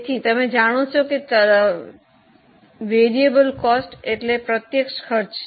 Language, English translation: Gujarati, So, you know that the direct costs are variable costs